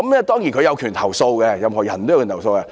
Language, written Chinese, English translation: Cantonese, 當然，他們有權投訴，任何人也有權投訴。, Certainly they have the right to complain . Everyone has the right to complain